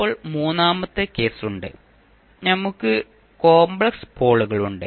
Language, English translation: Malayalam, Now, we have a third case, where we have complex poles